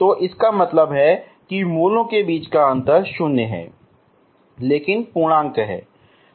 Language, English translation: Hindi, So that means the difference between the roots is 0 but integer, okay